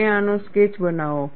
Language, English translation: Gujarati, You make a sketch of this